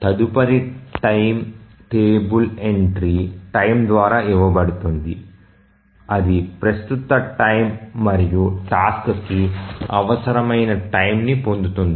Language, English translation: Telugu, So, the next time is given by the table entry time that get time when the current time plus the time that is required by the task